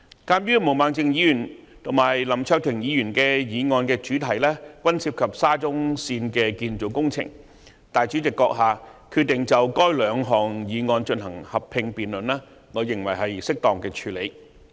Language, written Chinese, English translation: Cantonese, 鑒於毛孟靜議員及林卓廷議員的議案主題均涉及沙中線建造工程，主席閣下決定就該兩項議案進行合併辯論，我認為是適當的處理方法。, Since the subject matters of the motions proposed by Ms Claudia MO and Mr LAM Cheuk - ting respectively are both related to SCL I believe it is appropriate of the President in deciding to conduct a joint debate on the two motions